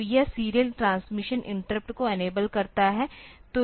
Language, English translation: Hindi, So, it will be enabling the serial transmission interrupt